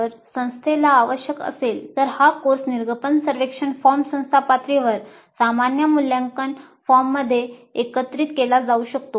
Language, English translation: Marathi, If the institute requires this course exit survey can be integrated into the institute level common evaluation form, that is okay